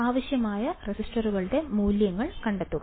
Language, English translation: Malayalam, Find the values of resistors required